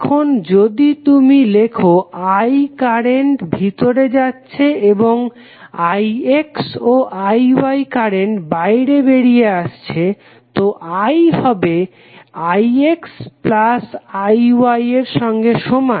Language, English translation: Bengali, So, if you write I is going in I X and I Y are coming out, so I would be equal to I X plus I Y